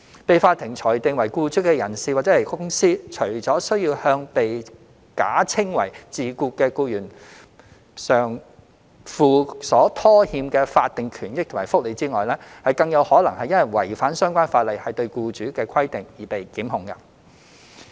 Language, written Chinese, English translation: Cantonese, 被法庭裁定為僱主的人/公司，除需向被假稱為自僱的僱員償付所拖欠的法定權益及福利外，更有可能因違反相關法例對僱主的規定而被檢控。, Any personcompany determined by the court to be an employer must pay the statutory entitlements and benefits due to the employee who is falsely claimed to be self - employed; moreover the personcompany concerned may be liable to prosecution for failure to fulfil the obligations required of an employer under the relevant laws